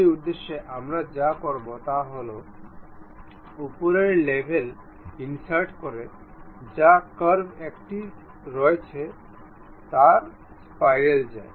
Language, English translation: Bengali, For that purpose what we have to do go to insert on top level there is a curve in that curve go to helix spiral